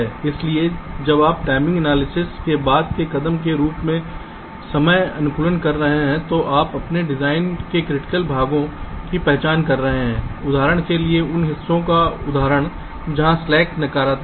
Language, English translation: Hindi, so when you are doing timing optimization as a subsequent step to timing analyzes, you are identifying the critical portions of your design, like, for example, the portions where the slacks are negative